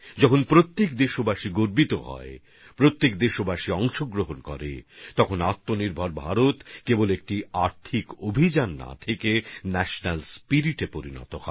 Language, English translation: Bengali, When every countryman takes pride, every countryman connects; selfreliant India doesn't remain just an economic campaign but becomes a national spirit